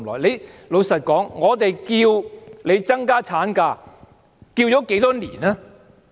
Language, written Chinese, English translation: Cantonese, 坦白說，我們要求增加產假多少年了？, Frankly how long have we asked for extending the maternity leave?